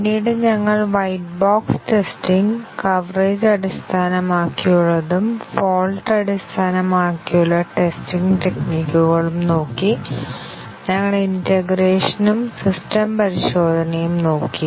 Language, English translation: Malayalam, And later, we looked at white box testing, the coverage based and fault based testing techniques; and we also looked at integration and system testing